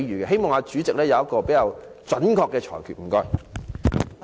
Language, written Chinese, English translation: Cantonese, 希望代理主席有比較準確的裁決。, I hope that Deputy President can make a more appropriate ruling